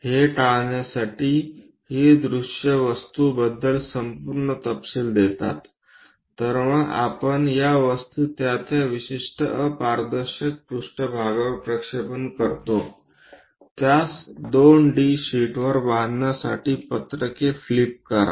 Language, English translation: Marathi, To avoid that, these views gives complete details about the object So, we project these objects onto those plane particular opaque planes then, flip the sheets to construct that onto 2 D sheet